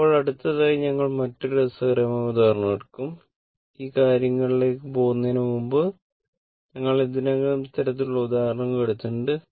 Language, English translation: Malayalam, Now, next we will take another interesting example and before going to this thing, we have taken this kind of example